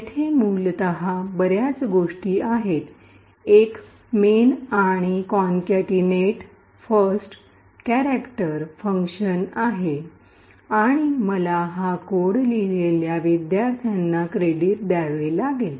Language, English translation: Marathi, C and there is essentially, did a lot of things, there was a main and there was a concatenate first chars function and I have to give credit to the students who wrote this codes